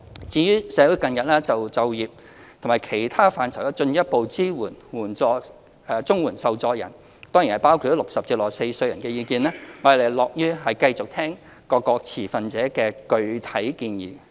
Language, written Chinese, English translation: Cantonese, 至於社會近日關注在就業及其他範疇上進一步支援綜援受助人，當然包括60至64歲人士的意見，我們樂於繼續聆聽各持份者的具體建議。, As for the recent concerns expressed in the community about providing further support to CSSA recipients including persons aged between 60 and 64 in employment and other aspects we are prepared to continue to listen to specific proposals put forth by stakeholders